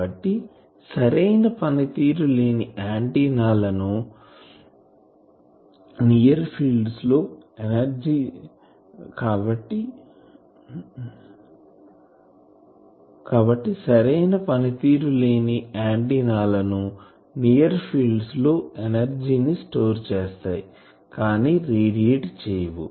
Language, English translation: Telugu, So, inefficient antennas they mainly store the energy in the near field they cannot radiate